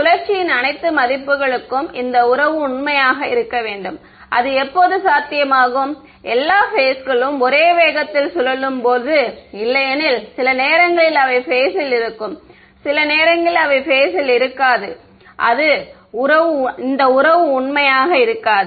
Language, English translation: Tamil, And this relation should be true for all values of rotation, when will that be possible, when all the phasors are rotating at the same speed otherwise sometimes they will be in phase, sometimes they will not be in phase and this relation will not be true